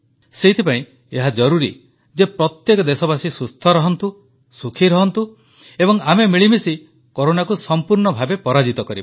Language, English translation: Odia, For this to happen, it is imperative that each citizen remains hale & hearty and is part of our collective efforts to overcome Corona